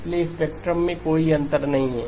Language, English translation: Hindi, So there is no gap in the spectrum